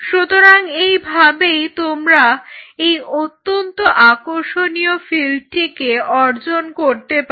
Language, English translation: Bengali, So, this is how you achieve these very interesting field